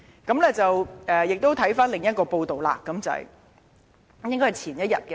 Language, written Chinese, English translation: Cantonese, "我們再看看另一篇報道，應該是前一天的......, Let us now turn to another new reports which is published the day before that